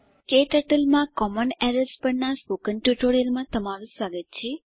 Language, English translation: Gujarati, Welcome to this tutorial on Common Errors in KTurtle